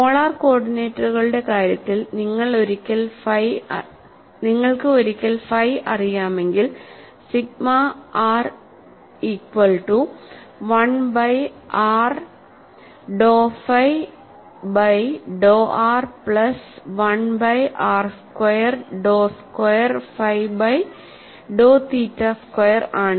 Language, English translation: Malayalam, And in the case of polar coordinates, once you have sigma phi is known, sigma r r is defined as 1 by r tau phi by tau r plus 1 by r squared tau squared phi by tau theta squared, and sigma theta theta equal to tau squared phi tau r squared